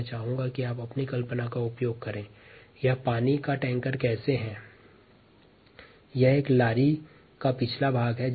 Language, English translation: Hindi, here i would like you to use your imagination to see how this is ah water tanker